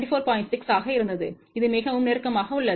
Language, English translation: Tamil, 6 so, which is very very close